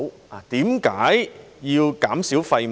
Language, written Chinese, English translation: Cantonese, 為何要減少廢物？, Why should we reduce waste?